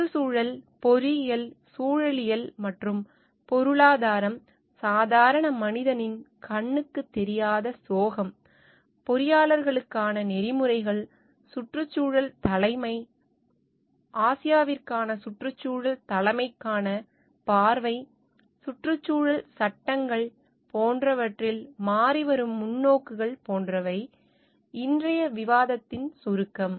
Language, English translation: Tamil, The outline of today s discussion will be like, the changing perspectives on environment, engineering, ecology and economics, the invisible hand and the tragedy of commons, codes of ethics for engineers, environmental leadership, a vision for environmental leadership for Asia, environmental laws, preventing disasters and changing the way for costing, and social activism